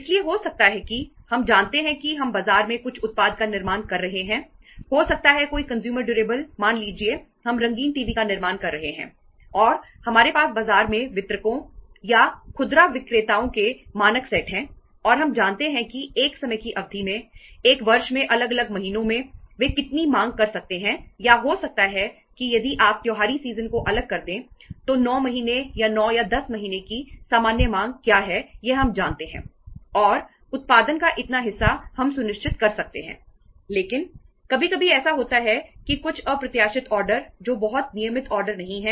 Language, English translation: Hindi, So there might be that we know that uh we are manufacturing some product in the market maybe any consumer durable you talk about say we are manufacturing the color TVs and we have standard set of distributors in the market or the retailers in the market and we know that how much they can demand over a period of time, over the different months in a year or maybe if you if you set aside the festival season then what is the normal demand in the other say 9 months or 9 or 10 months in the year so that we know and that much of the production we can ensure